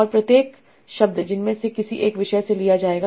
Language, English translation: Hindi, And each word will be drawn from one of these topics